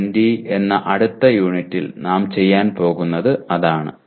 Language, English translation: Malayalam, That is what we will be doing in the next unit that is U20